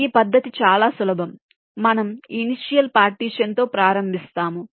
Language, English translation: Telugu, here the idea is that we start with an initial partition